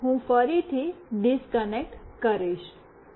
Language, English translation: Gujarati, Now, I will again disconnect